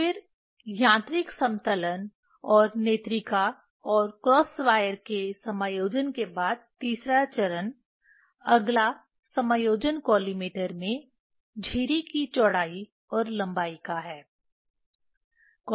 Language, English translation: Hindi, Then third step after mechanical leveling and the adjustment of eyepiece and cross wire, next adjustment is of slit width and length in collimator